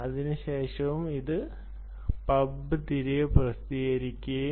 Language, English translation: Malayalam, then it will be publish, pub back, right